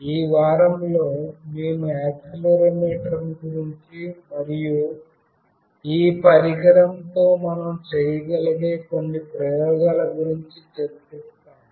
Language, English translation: Telugu, In this week, we will be discussing about Accelerometer and some of the experiments that we can do with this device